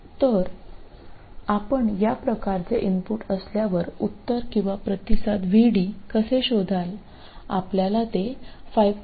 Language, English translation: Marathi, So, how would you find the solution or the response VD to an input like this you would have to find it for 5